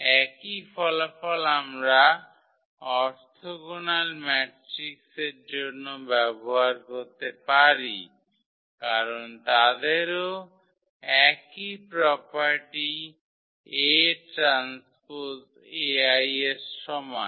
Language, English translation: Bengali, Same results we can also use for the orthogonal matrices because they are also having the same property a transpose A is equal to I